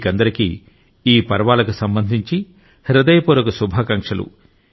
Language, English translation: Telugu, Advance greetings to all of you on the occasion of these festivals